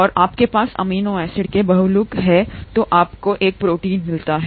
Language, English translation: Hindi, And you have polymer of these amino acids, then you get a protein